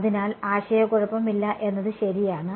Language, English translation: Malayalam, So, that there is no confusion ok